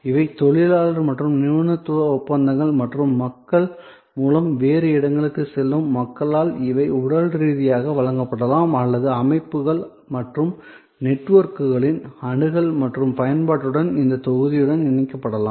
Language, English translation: Tamil, So, these are labor and expertise contracts and these can be physically provided by people going elsewhere through people or it could be combined with this block with this access to and usage of systems and networks